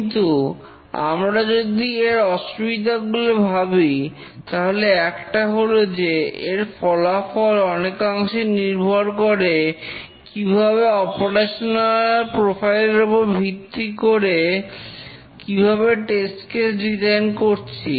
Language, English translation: Bengali, But if we think of the disadvantages of statistical testing, one is that the results to a large extent depend on how do we define the operational profile and also how do we design the test cases based on the operational profile